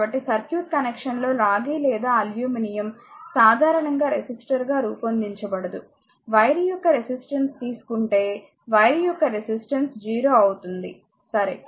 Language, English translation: Telugu, So, in circuit connection copper or aluminum is not usually modeled as a resistor, you will take resistance of the wire in the if you take resistance of wire is 0, right